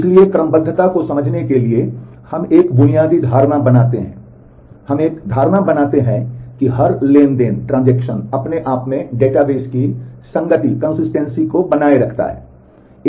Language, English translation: Hindi, So, to understand serializability we make a basic assumption, we make an assumption that every transaction by itself preserves the database consistency